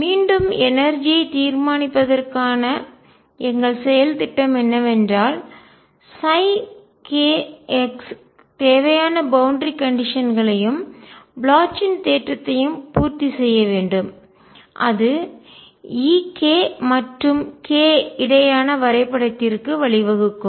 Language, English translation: Tamil, Again our strategy to determine the energy is going to be that psi k x must satisfy the required boundary conditions and Bloch’s theorem; and that will lead to e k versus k picture